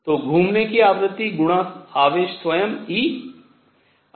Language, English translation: Hindi, So, the frequency of going around times the charge itself e